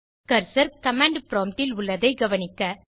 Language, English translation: Tamil, Notice that the cursor is on the command prompt